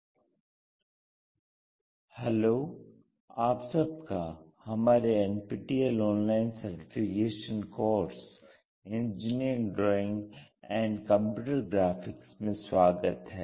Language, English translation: Hindi, MODULE 02 LECTURE 39: Conic Sections XII Hello all, welcome to our NPTEL online certification courses on Engineering Drawing and Computer Graphics